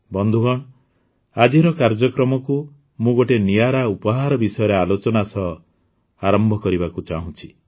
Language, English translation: Odia, Friends, I want to start today's program referring to a unique gift